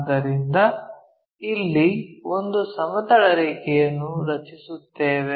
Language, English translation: Kannada, So, let us draw a horizontal line also here